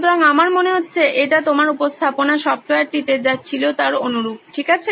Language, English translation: Bengali, So it sounds to me like it is very similar to what you had in the presentation software, okay